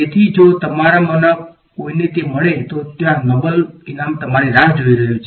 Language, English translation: Gujarati, So, if any of you do find it there is a noble prize waiting for you